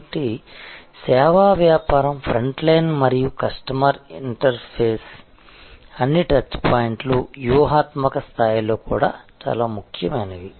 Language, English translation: Telugu, So, the service business, the front line and the customer interface all the touch points are very important even at a strategic level